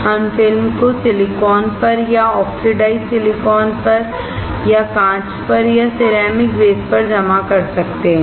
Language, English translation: Hindi, We can deposit the film on silicon or on oxidized silicon or on glass or on ceramic base